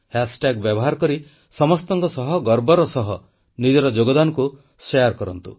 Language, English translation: Odia, Using the hashtag, proudly share your contribution with one & all